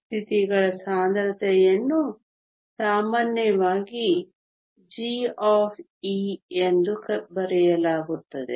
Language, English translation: Kannada, Density of states, are typically written as g of e